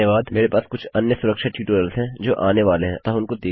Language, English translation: Hindi, I have some other security tutorials that are coming up so look out for those